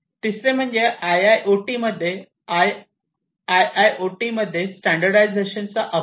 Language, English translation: Marathi, The third one is lack of standardization in IoT, in IIoT, and so on